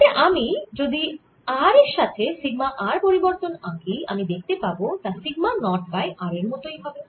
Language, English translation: Bengali, so if i would plot this r versus sigma r where it says: is it carries sigma naught over r